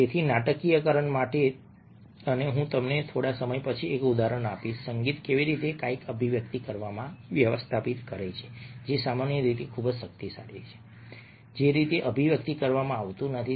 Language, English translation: Gujarati, so for dramatization and a, i will give you an example a little a later of how music manages to convey something which ordinarily would not be conveyed very, very powerfully